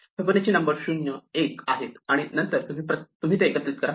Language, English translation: Marathi, The Fibonacci numbers are 0, 1 and then you add